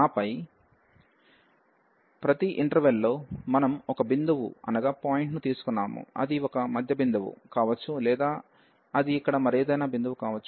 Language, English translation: Telugu, And then in each interval we have taken a point, it could be a middle point or it can be any other point here